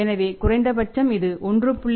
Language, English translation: Tamil, So, it should be 1